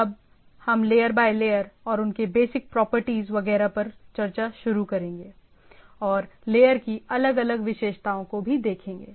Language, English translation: Hindi, Now, we will start discussing layer by layer and their basic properties etcetera, and what are the different features of those layers